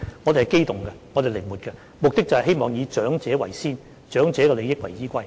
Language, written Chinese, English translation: Cantonese, 我們是機動的、靈活的，目的就是希望以長者為先，以長者的利益為依歸。, We are adaptable and flexible and the aim is to put the elderly first and our foremost consideration is the interests of the elderly